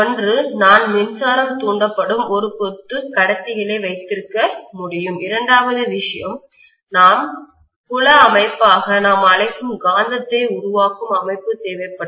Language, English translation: Tamil, One is I should be able to have a bunch of conductors in which electricity will be induced and the second thing is I will need a magnetism producing system which we call as the field system